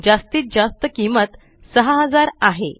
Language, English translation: Marathi, The maximum cost is rupees 6000